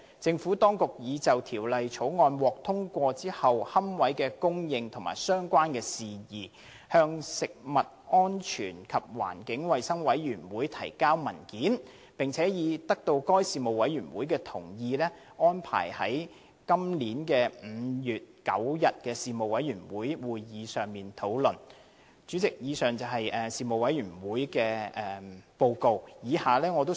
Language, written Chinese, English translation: Cantonese, 政府當局已就《條例草案》獲通過後的龕位供應及相關事宜，向食物安全及環境衞生事務委員會提交文件，並已得到該事務委員會同意，安排在2017年5月9日的會議上討論相關事宜。, The Administration has already provided a paper to the Panel on Food Safety and Environmental Hygiene on the supply of niches and related issues after the enactment of the Bill . The Panel has also agreed that the matter will be discussed at its meeting on 9 May 2017